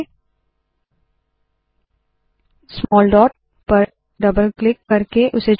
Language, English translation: Hindi, Let us choose the small dot by double clicking on it